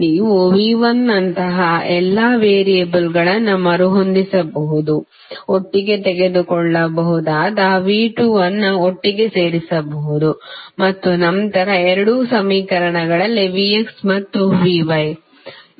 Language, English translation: Kannada, You can rearrange all the variables like V 1 you can put together V 2 you can take together and then V X and V Y in both of the equations